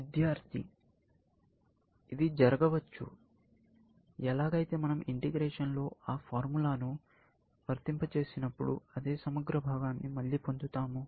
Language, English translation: Telugu, Integration, it could happen like, when we apply that formula, we will get the same integral part again